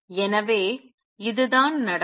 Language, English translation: Tamil, So, this is what would happen